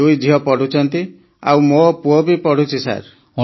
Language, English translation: Odia, Both daughters as well as the son are studying Sir